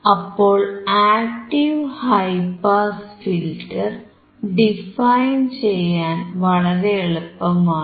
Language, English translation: Malayalam, So, it is very easy to define your active high pass filter